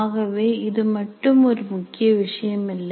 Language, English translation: Tamil, So this is not a major issue